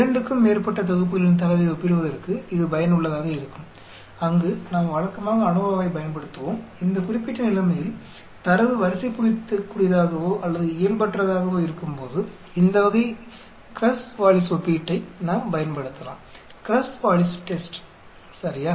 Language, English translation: Tamil, This is useful for comparing more than 2 sets of data, where as we used to use ANOVA where as in this particular situation when the data is ordinal or non normal then we can use this type of Krus Wallis comparison, Krus Wallis Test ok